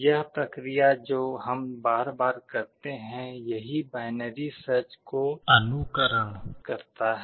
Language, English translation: Hindi, This is what we are doing repeatedly and this emulates binary search